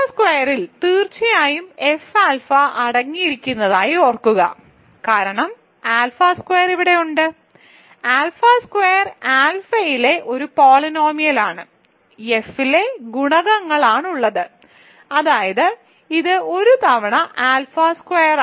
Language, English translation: Malayalam, So, remember alpha squared certainly contains F alpha is contained in F alpha because, alpha squared is here, alpha squared is a polynomial in alpha with coefficients in F namely it is one times alpha squared